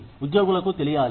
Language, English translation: Telugu, Should the employees know